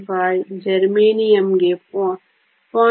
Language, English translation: Kannada, 11, germanium is 0